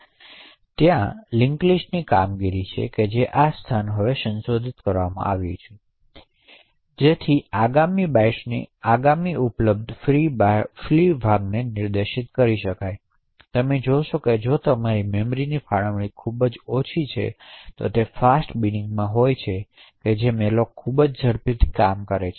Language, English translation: Gujarati, Now there is the linked list operation wherein this location is now modified so as to point to the next available free chunk of 32 bytes, so you see that if your memory allocation is very small and it happens to be in the fast bin then malloc works very quickly